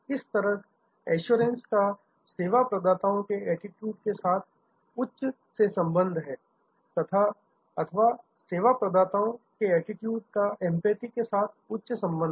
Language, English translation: Hindi, Similarly, assurance has a high correlation with the service providers attitude or empathy has a high correlation with service providers attitude